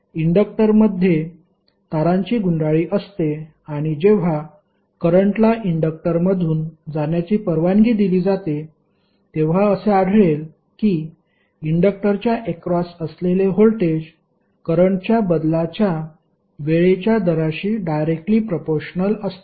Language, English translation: Marathi, And when current is allowed to pass through an inductor, it is found that the voltage across the inductor is directly proportional to time rate of change of current